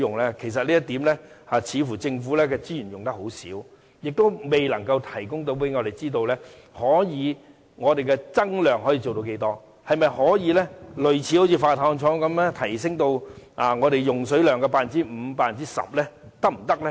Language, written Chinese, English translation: Cantonese, 政府在此方面的資源似乎用得很少，而且未能告訴我們，可以增量到多少，可否做到類以海水化淡廠般提升至我們用水量的 5% 或 10% 般？, It seems the Government has put very little resources in this regard and failed to tell us how much more production capacity can be attained by using such technology . Is it possible to increase the capacity to meet 5 % or 10 % of local demand similar to that of the desalination plant?